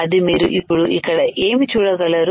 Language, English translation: Telugu, This is what you can see here